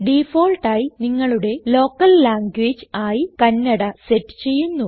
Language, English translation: Malayalam, By default, this will set your local language setting to Kannada